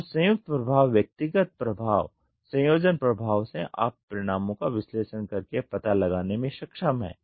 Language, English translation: Hindi, So, combined effect right, individual effect, combine effect you are able to find out by analysing the results